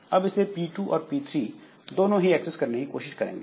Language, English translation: Hindi, Now both P2 and P3 wants to try to access it